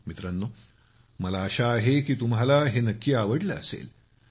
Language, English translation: Marathi, Friends, I hope you have liked them